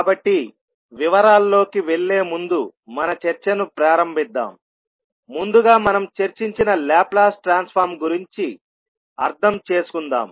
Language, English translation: Telugu, So, let us start our discussion before going into the detail lets first understand what we discussed when we were discussing about the Laplace transform